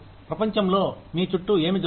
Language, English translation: Telugu, What is going on, in the world around you